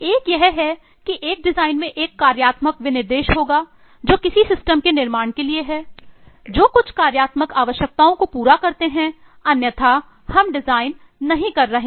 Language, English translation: Hindi, One is eh it will a design will have a functional specification that is it is for building some system which meet certain functional requirements otherwise we are not doing a design